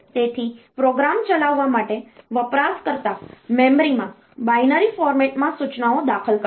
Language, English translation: Gujarati, So, to execute a program, the user will enter instructions in binary format into the memory